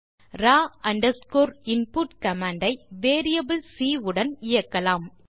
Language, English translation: Tamil, We have to use the raw underscore input command with variable c